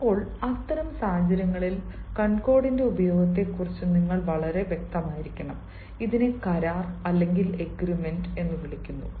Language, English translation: Malayalam, now, in such situations, you have to be very particular about the use of concord and which is called agreement